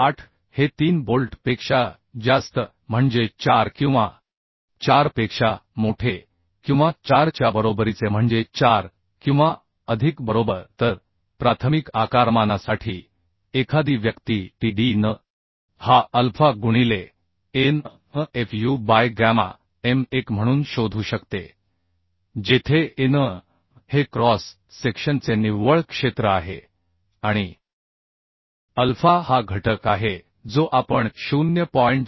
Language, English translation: Marathi, 8 for more than 3 bolts means 4 or greater than or equal to 4 means 4 or more right So for preliminary sizing one can find out Tdn as alpha into Anfu by gamma m1 where An is the net area of the cross section and alpha is the factor which we can take 0